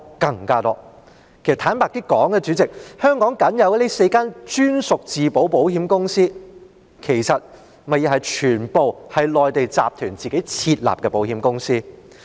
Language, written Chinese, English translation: Cantonese, 主席，坦白說，香港僅有的4間專屬自保保險公司，其實全部都是內地集團自行設立的保險公司。, President honestly all the four captive insurers in Hong Kong are insurance companies set up by Mainland corporate groups themselves